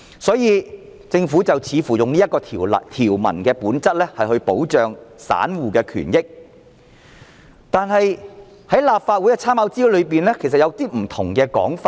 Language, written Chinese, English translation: Cantonese, 故此，政府似乎希望利用條文本質保障散戶權益，但立法會參考資料摘要中出現了一些不同的說法。, For that reason it seems that the Government hopes to protect the right and interest of ordinary retail investors by setting out the relevant provision . But the Government said something different in the Legislative Council Brief